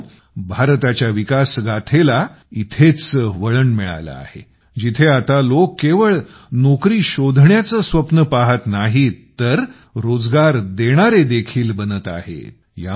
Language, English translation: Marathi, Friends, this is the turning point of India's growth story, where people are now not only dreaming of becoming job seekers but also becoming job creators